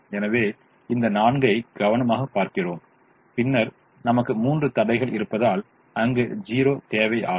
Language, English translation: Tamil, so we look at this four, we look at this four and then we need a zero there because we have three constraints